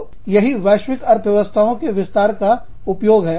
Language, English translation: Hindi, So, this is exploiting, global economies of scope